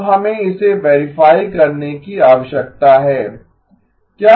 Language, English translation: Hindi, Now we need to verify this okay